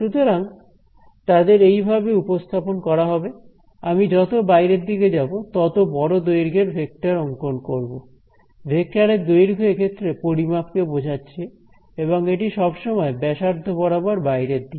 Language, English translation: Bengali, So, they will be represented like this, start with as I go further outside I can draw longer length, the length of the vector denotes the magnitude and it is always radially outwards